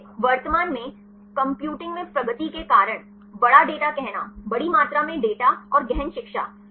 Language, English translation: Hindi, So, currently due to the advancements in the computing; say the big data; large amount of data and deep learning